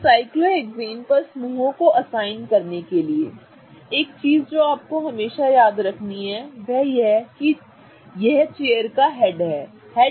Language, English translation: Hindi, Now, in order to assign groups on the cyclohexane, one of the things I want to always you guys to remember is that let's say this is the head of the chair, right